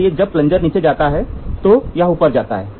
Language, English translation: Hindi, So, when the plunger moves down, this moves up